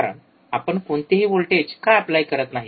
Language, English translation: Marathi, , bBecause we are not applying any voltage,